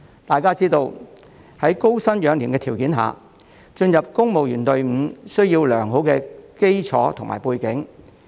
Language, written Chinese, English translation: Cantonese, 大家皆知道，在高薪養廉的條件下，進入公務員隊伍需要良好基礎及背景。, As we all know under the premise of offering high salaries to maintain a clean civil service a good foundation and background is the prerequisite for joining the civil service